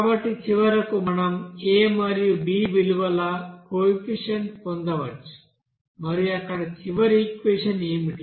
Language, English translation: Telugu, So finally we can get what will be the coefficient of you know a and b value and then what will be the final equation there